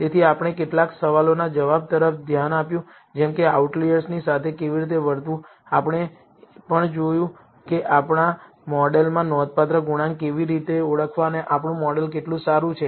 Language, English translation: Gujarati, So, we looked at answering some of the question as how to treat outliers, we also saw how to identify significant coefficients in our model and how good our model is